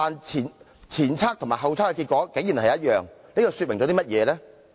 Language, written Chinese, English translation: Cantonese, 前測和後測的結果一致究竟說明甚麼呢？, What do the identical results of the pre - test and post - test illustrate?